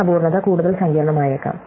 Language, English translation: Malayalam, So, this imperfection could be more complex